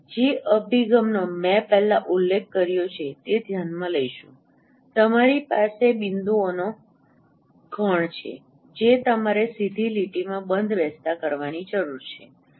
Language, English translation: Gujarati, So the approach what I mentioned earlier that consider you have a set of points which you require to fit in a straight line